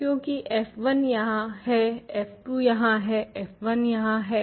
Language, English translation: Hindi, Because, f 1 is here, f 2 is here, f 1 is here